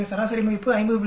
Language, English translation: Tamil, So the mean value is 50